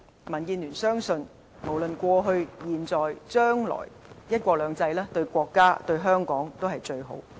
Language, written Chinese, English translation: Cantonese, 民建聯相信，無論過去、現在和將來，"一國兩制"對國家和香港也是最好。, DAB believes that one country two systems is best for both the country and Hong Kong in the past at present and in future